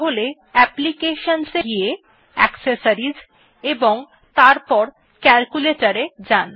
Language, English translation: Bengali, For that go back to Applications and then go to Accessories